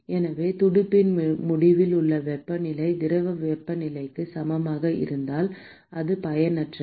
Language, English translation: Tamil, So, if the temperature at the end of the fin is equal to that of the fluid temperature it is no use